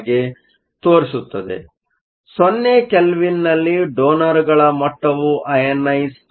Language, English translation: Kannada, So, At 0 Kelvin the donor level is not ionized, so, we basically have electrons